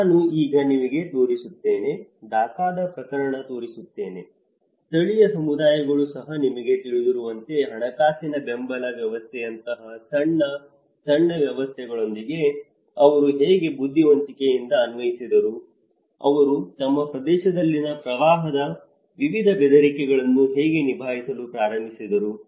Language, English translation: Kannada, I will also show you now, how a case of Dhaka and how this has been; how local communities have also started working on you know, with small, small support systems like a financial support system, how they intelligently applied, how they started coping with different threats of the floods in their region